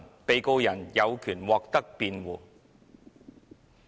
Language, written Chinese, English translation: Cantonese, 被告人有權獲得辯護。, The accused has the right of defence